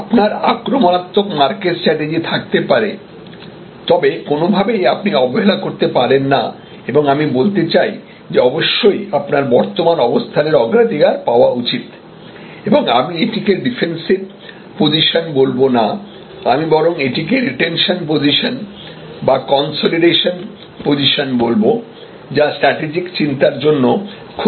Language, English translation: Bengali, So, you may have an offensive aggressive market strategy, but in no way you can actually neglect and I would say you must get higher priority to your current position and I would not call it defensive position, I would rather call it retention position, consolidation position which is very important for your strategic thinking